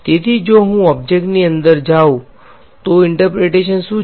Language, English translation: Gujarati, So, if I go inside the object what is the interpretation